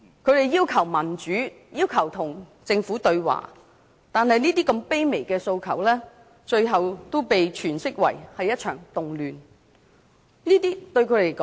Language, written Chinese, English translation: Cantonese, 他們要求民主及與政府對話，但如此卑微的訴求，最後都被詮釋為一場動亂。, They wanted democracy and asked to have a dialogue with government officials but such a humble request had finally been interpreted as a disturbance